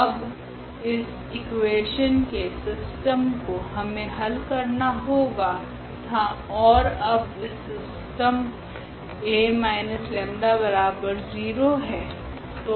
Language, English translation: Hindi, So, this system of equation we have to solve now and what is the system now A minus 1